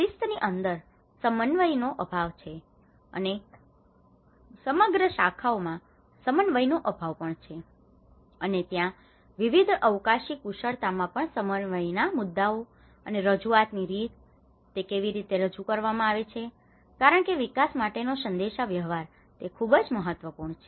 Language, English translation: Gujarati, Within the discipline, there is the lack of coordination and with across the disciplines is also lack of the coordination and there also coordination issues across different spatial skills and also the manner of presentation, how it is presented because how a communication for development is very important